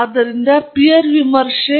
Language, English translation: Kannada, So, it is peer review